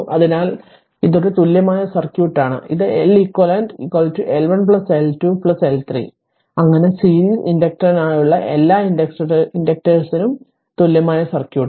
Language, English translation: Malayalam, So, this is an equivalent circuit and this is L eq L eq is equal to L 1 plus L 2 plus L 3 and so on all the inductors you add equivalent circuit for the series inductor